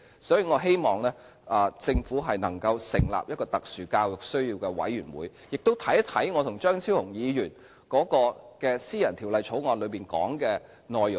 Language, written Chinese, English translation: Cantonese, 所以，我希望政府能成立特殊教育需要的委員會，亦看看我和張超雄議員的私人條例草案當中的內容。, Therefore I hope the Government can establish a committee on SEN and consider the contents in the private bill proposed by Dr Fernando CHEUNG and me